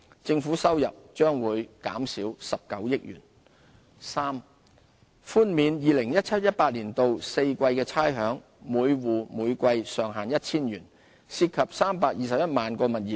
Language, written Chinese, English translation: Cantonese, 政府收入將減少19億元；三寬免 2017-2018 年度4季的差餉，每戶每季上限為 1,000 元，涉及321萬個物業。, This proposal will benefit 132 000 taxpayers and reduce government revenue by 1.9 billion; c waiving rates for four quarters of 2017 - 2018 subject to a ceiling of 1,000 per quarter for each rateable property